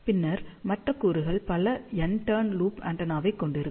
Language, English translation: Tamil, And then, the other components will consists of multiple n turn loop antenna